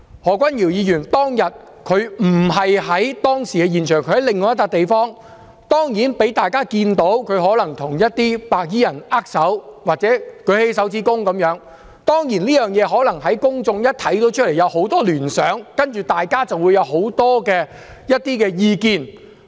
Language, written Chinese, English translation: Cantonese, 何君堯議員當天並不在現場，他在另一個地方，但當然，他被大家看到他可能與一些白衣人握手或豎起拇指，公眾看在眼中可能引起很多聯想，然後便會有很多意見。, He was in another place . But of course he was seen probably shaking hands with some white - clad people or giving a thumbs up . Such a sight might trigger many associations in the public who would then make noises about it